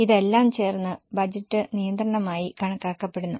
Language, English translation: Malayalam, All this together is considered as budgetary control